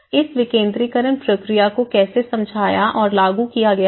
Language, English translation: Hindi, So, now how this decentralization process have explained, have been implemented